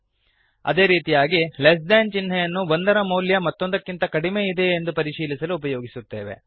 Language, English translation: Kannada, Similarly, less than symbol is used to check if one value is less than the other